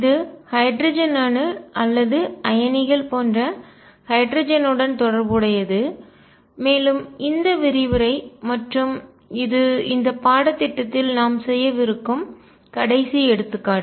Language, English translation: Tamil, And this was related to hydrogen atom or hydrogen like ions, and this lecture on word and this is the final example that we will be doing in this course